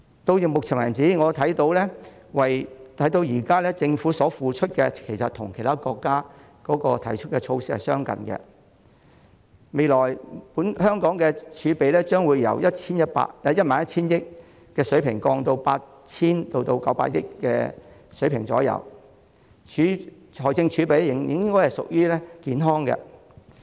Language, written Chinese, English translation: Cantonese, 到目前為止，我看到政府推出的措施其實與其他國家相近，香港未來的儲備將由 11,000 億元的水平下降至大約 8,000 億元至 9,000 億元的水平，財政儲備應該仍處於健康狀態。, I notice that the measures rolled out by the Government so far are actually similar to those of other countries . Hong Kongs reserves will drop from the level of 1,100 billion to approximately between 800 billion and 900 billion in the future . Fiscal reserves should still be in a healthy state